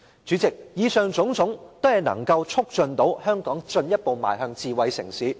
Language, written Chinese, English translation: Cantonese, 主席，以上種種均能推動香港進一步邁向智慧城市。, President what I mentioned just now can promote Hong Kongs further development into a smart city